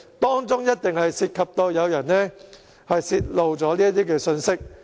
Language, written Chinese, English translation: Cantonese, 當中一定涉及有人泄露這些信息。, It must involve disclosure of information